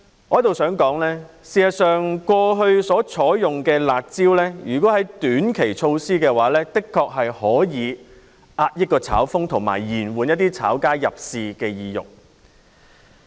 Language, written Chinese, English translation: Cantonese, 我在此想指出，如果過去所採用的"辣招"是短期措施的話，的確可以遏抑"炒風"，以及延緩一些"炒家"的入市意欲。, I would like to point out that the curb measures adopted in the past if considered to be short - term policies have actually been effective in curbing the trend of speculation and dampening the desire of speculators to buy properties